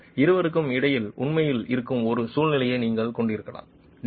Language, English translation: Tamil, And you could have a situation which is actually in between the two